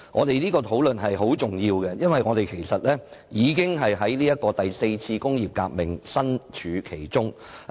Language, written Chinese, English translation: Cantonese, 是次討論非常重要，因為我們已置身於"第四次工業革命"之中。, This discussion is very important because we are already in the fourth industrial revolution